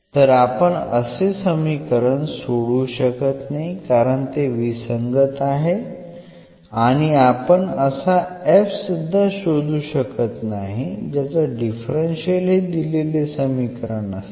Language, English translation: Marathi, So, naturally we cannot solve because this is inconsistent equation and hence we cannot find such a f whose differential is the given differential equation